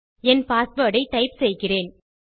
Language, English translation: Tamil, I type my password